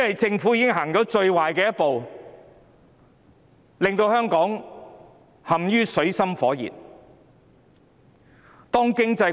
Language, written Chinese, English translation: Cantonese, 政府已經走了最壞的一步，令香港陷於水深火熱之中。, The Government has already taken the worst step driving Hong Kong into dire straits